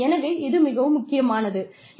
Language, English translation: Tamil, So, it is very important